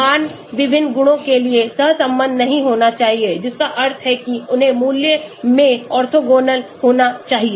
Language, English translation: Hindi, Values must not be correlated for different properties means they must be orthogonal in value